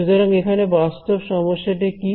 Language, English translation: Bengali, So, what is the physical problem over here